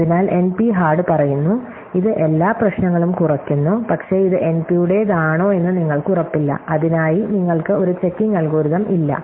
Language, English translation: Malayalam, So, NP hard says that, it is every problem reduces to it, but you are not sure whether not belongs to NP, you do not have a checking algorithm for it